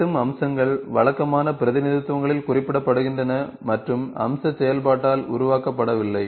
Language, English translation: Tamil, Intersecting features are represented on conventional representations and not generated by feature operation